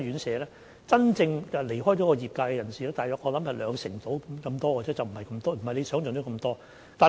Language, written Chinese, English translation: Cantonese, 真正離開業界的人士，我想大約有兩成多，不是劉議員想象中那麼多。, I think about 20 % of them have really left the sector which is not as high as imagined by Dr LAU